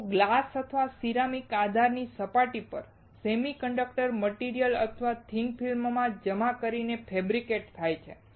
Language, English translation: Gujarati, They are fabricated by depositing thin films of conducting or semiconducting materials on the surface of glass or ceramic base